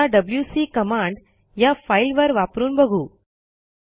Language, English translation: Marathi, Now let us use the wc command on this file